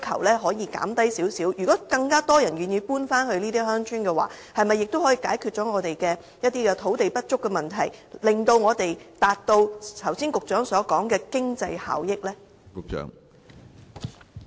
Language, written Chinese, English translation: Cantonese, 如果更多人願意搬回這些鄉村，是否亦可以解決我們土地不足的問題，以達致局長剛才所說的經濟效益呢？, If more people are willing to move back to these villages is it possible to solve the problem of land shortage as well so as to achieve the cost - effectiveness suggested by the Secretary?